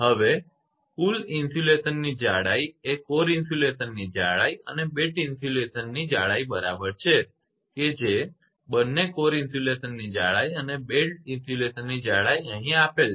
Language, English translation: Gujarati, Now, total insulation thickness is equal to thickness of core insulation plus thickness of belt insulation right, both are given your thickness of core insulation and thickness of belt insulation